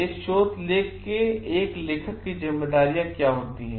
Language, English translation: Hindi, What are the responsibilities of an author of a research article